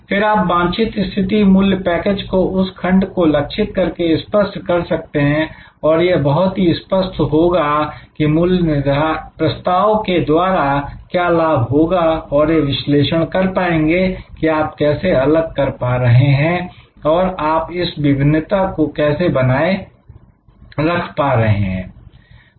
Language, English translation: Hindi, And then, articulate your desired position package of values for that target segment and very clear articulation, that what benefits will be offer through your value proposition and analyse how you will differentiate, how will you maintain the differentiation